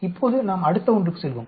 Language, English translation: Tamil, Now, let us go to the next one